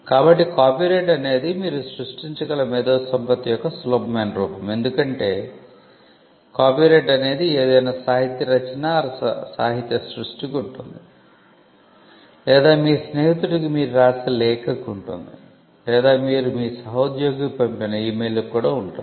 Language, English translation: Telugu, So, an copyright is the easiest form of IP that you can create because, we are just mentioned that copyright can exist in any literary work and literary work includes bestselling books as well as the letter that you write to your friend or an email that you compose and send it to your colleague